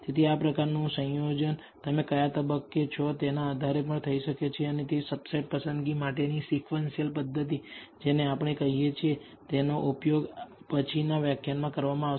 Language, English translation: Gujarati, So, this kind of combination can be done depending on what stage you are and that will be using in what we call the sequential method for subset selection that will be discussed in the later lecture